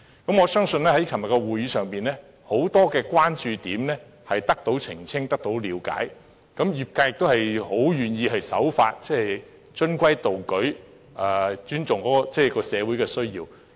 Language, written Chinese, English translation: Cantonese, 我相信在昨天的會議上，很多關注點已得到澄清及了解，業界亦很願意守法，循規蹈矩，尊重社會的需要。, I believe the meeting yesterday has allayed many of our concerns and increased our understanding of the matter . The industries are willing to comply with the law and respect the needs of society